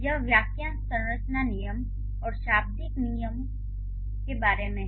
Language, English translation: Hindi, This is about the fresh structure rules and also the lexical rules